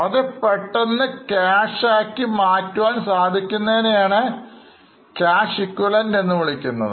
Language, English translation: Malayalam, They can be very easily converted into cash so they are called as cash equivalents